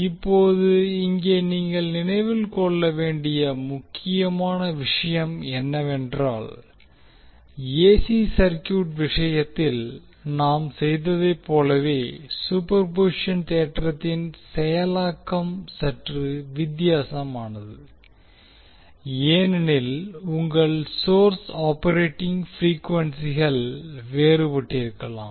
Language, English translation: Tamil, Now, here the important thing which you have to keep in mind is that the processing of the superposition theorem is little bit different as we did in case of AC circuit because your source operating frequencies can be different